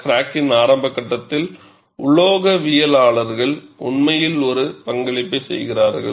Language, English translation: Tamil, The crack initiation phase, it is the metallurgists, who really make a contribution